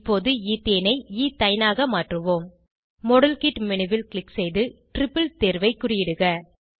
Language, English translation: Tamil, Now lets convert Ethene to Ethyne, Click on the modelkit menu and check against triple option